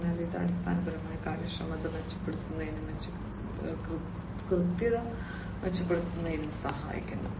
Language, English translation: Malayalam, So, this basically helps in improving the efficiency and improving, improving the precision, and so on